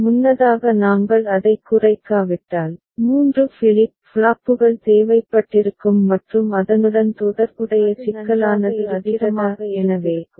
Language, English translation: Tamil, Earlier if we had not minimized it, 3 flip flops would have been required and associated complexity would have been more; is it fine